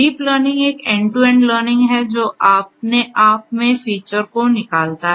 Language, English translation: Hindi, Deep learning is an end to end learning which extracts features on its own